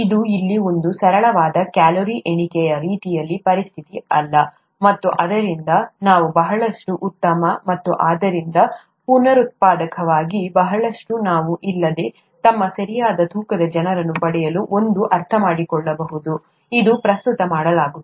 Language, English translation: Kannada, It's not a simple calorie counting kind of a situation here, and therefore can we understand that a lot better and so, so as to reproducibly get people to their appropriate weight without a lot of pain, as it is currently being done